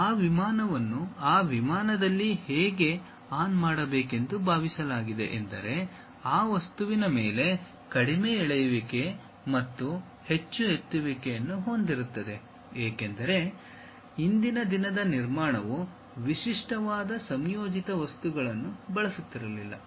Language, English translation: Kannada, Now, how that surface supposed to be turned on that aeroplane such that one will be having less drag and more lift on that object; because, earlier day construction were not on using typical composite materials